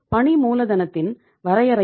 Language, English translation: Tamil, Definitions of working capital